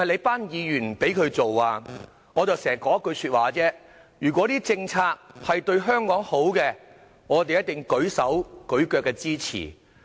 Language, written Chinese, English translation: Cantonese, "我經常只說一句話：如果政策對香港好，我們定會"舉手舉腳"支持。, As I often said if a policy is beneficial to Hong Kong we definitely will render it total and absolute support